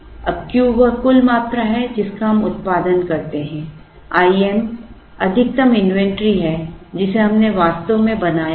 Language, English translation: Hindi, Now, Q is the total quantity that we produce, I m is the maximum inventory, that we actually built it